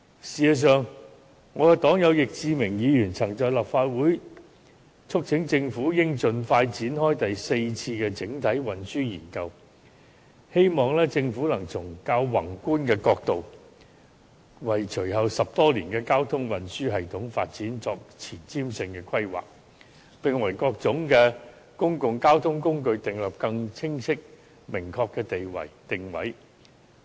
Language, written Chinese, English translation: Cantonese, 事實上，我的黨友易志明議員曾在立法會促請政府應盡快展開第四次整體運輸研究，希望政府能從較宏觀的角度，為隨後10多年的交通運輸系統發展作前瞻性的規劃，並為各種公共交通工具訂立更清晰明確的定位。, In fact Mr Frankie YICK my party comrade had urged in this Council that the Government should launch the Fourth Comprehensive Transport Study expeditiously with the hope that the Government would formulate forward - looking planning of the development of the transport system for the next ten years from a macroscopic perspective and position various modes of public transport in a clearer and more specific manner